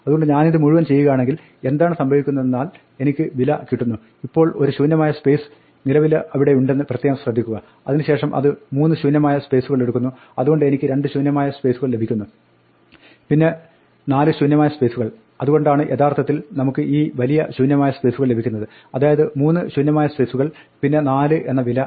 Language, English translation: Malayalam, So if I do all this, then what happens is I get value, now notice that already there is one space here, then it going to take three spaces so I am going to get two blank spaces and then a 4, so that is why we have this long, so this is actually three blank spaces and then a 4